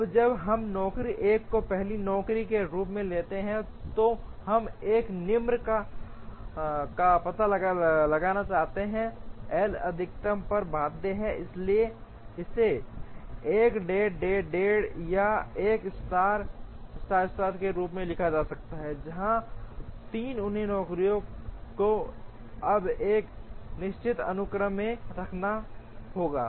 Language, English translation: Hindi, Now, when we take job 1 as first job, we want to find out a lower bound on L max, so this can be written as 1 dash dash dash or 1 star star star, where 3 other jobs will have to be now put in a certain sequence